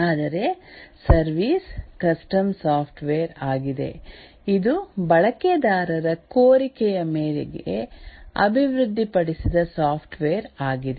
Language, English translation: Kannada, Whereas a service is a custom software, it's a software developed at users request